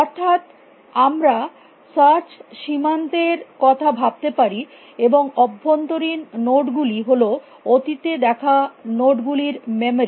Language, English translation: Bengali, That we can think of the search frontier, and set of internal nodes is the memory of past nodes visited